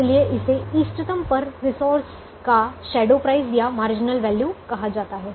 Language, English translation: Hindi, therefore it is called shadow price or marginal value of the resource at the optimum